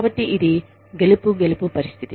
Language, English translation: Telugu, So, it is a win win situation